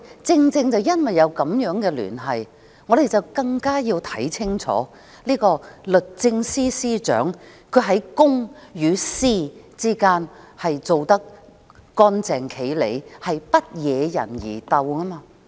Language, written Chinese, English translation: Cantonese, 正因為有這樣的聯繫，我們更要看清楚這位律政司司長在公、私之間是否做得乾淨利落，不惹人疑竇。, It is precisely because of such connection that we need to know whether the Secretary for Justice has been scrupulous in separating public from private interests with no cause for any suspicion